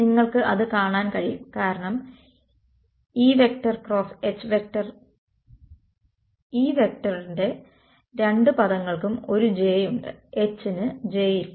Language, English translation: Malayalam, You can see that because E cross H conjugate E both the terms of E they have a j H has no j right